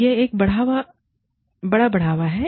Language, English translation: Hindi, That is a big boost